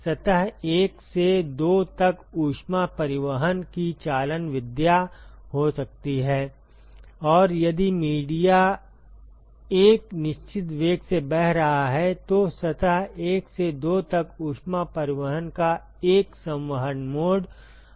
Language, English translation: Hindi, There could be conduction mode of heat transport from surface 1 to 2, and if the media is flowing with a certain velocity there could always be a convective mode of heat transport from surface 1 to 2